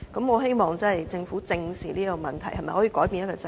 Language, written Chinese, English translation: Cantonese, 我希望政府正視這個問題，改變這個制度。, I hope the Government can squarely address this problem and change this system